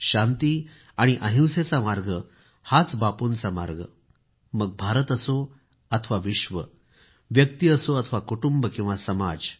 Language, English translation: Marathi, The path of peace and nonviolence, is the path of Bapu and this is applicable not only for India or the world, but also for a person or a family or a society